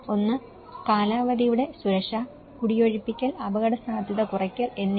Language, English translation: Malayalam, One is the security of tenure, evictions and risk reduction